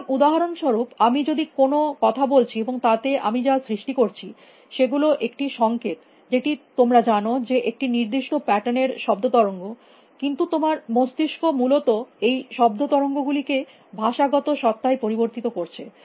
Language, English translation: Bengali, So, for example, if I am speaking and what I am creating is a signal which is you know sound waves of a particular pattern, but your brain is converting these sound waves into linguistic entities essentially